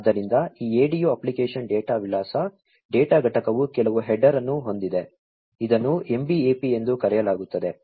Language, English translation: Kannada, So, this ADU application data address, data unit has some header, which is known as the MBAP